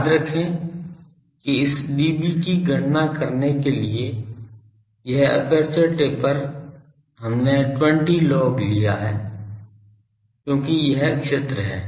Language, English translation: Hindi, Remember that this aperture taper to calculate this dB we have taken a 20 log because this is the field